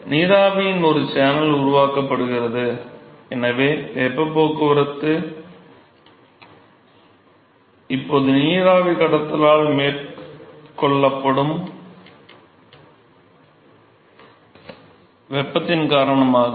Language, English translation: Tamil, So, a channel of vapor is created, and so, the heat transport is now because of the heat that is carried by the vapor phase